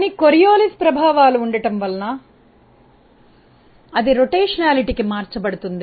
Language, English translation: Telugu, But, because of the Coriolis effects being present that is converted to a rotationality effect